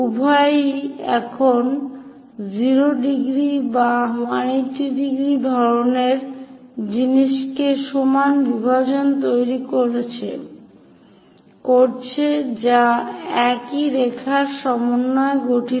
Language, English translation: Bengali, Both are still making that 0 degrees or 180 degrees kind of thing the equal division which comprises of same line